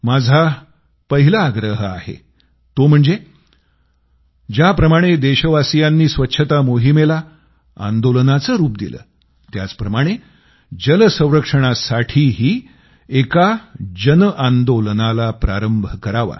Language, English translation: Marathi, My first request is that just like cleanliness drive has been given the shape of a mass movement by the countrymen, let's also start a mass movement for water conservation